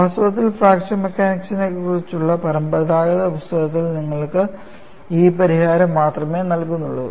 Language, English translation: Malayalam, In fact, conventional books on fracture mechanics provide you only this solution